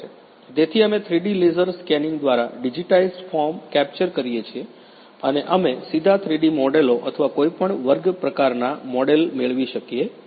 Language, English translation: Gujarati, So, we capture the digitized form by the 3D laser scanning and we can get directly 3D models or any kind of category